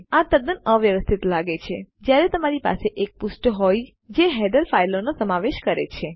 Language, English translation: Gujarati, This is quite messy when you have a page that has include a header file